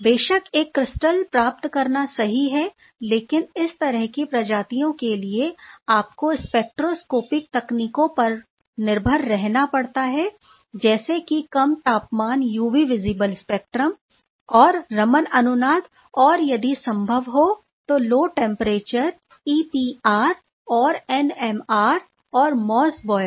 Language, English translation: Hindi, Of course, getting a crystal would be perfect, but life is not that rosy all the time; most often for these sort of species you have to rely on spectroscopic techniques such as low temperature UV visible spectra and resonance Raman and if possible let say low temperature a EPR and NMR, if it is feasible or Mossbauer